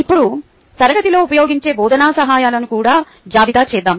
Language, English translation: Telugu, now let us also list the teaching aids that are used in the class